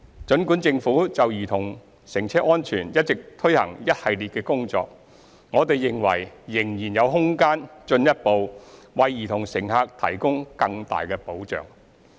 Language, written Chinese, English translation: Cantonese, 儘管政府就兒童乘車安全一直進行一系列工作，我們認為仍有空間進一步為兒童乘客提供更大的保障。, Although the Government has taken forward a series of work to enhance child safety on cars we reckon that there is room to further strengthen the protection for child passengers